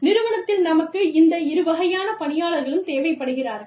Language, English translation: Tamil, We need, both kinds of people, in the organization